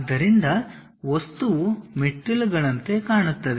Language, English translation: Kannada, So, the object looks like a staircase steps